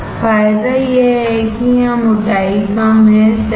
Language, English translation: Hindi, Advantage is the thickness here is less, correct